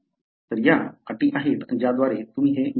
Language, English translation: Marathi, So, these are the conditions by, by which you could have that